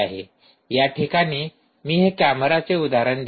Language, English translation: Marathi, so i will put down an example of a camera